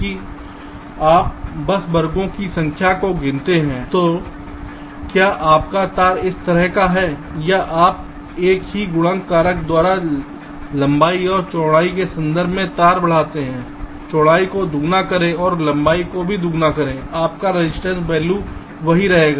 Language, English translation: Hindi, so whether your wire is of shape like this: or you increase the wire in terms of the length and the width by the same multiplicative factor, make the width double and make the length also double, your resistance value will remain the same